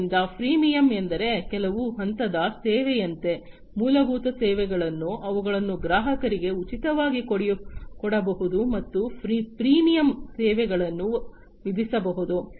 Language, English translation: Kannada, So, freemium means, like you know the certain levels of service the basic services, they can be made free to the customers and the premium services can be charged